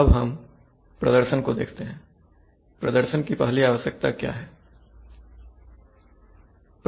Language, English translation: Hindi, Now let us look at performance, so what is the first requirement of performance